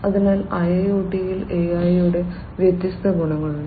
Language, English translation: Malayalam, So, there are different advantages of AI in IIoT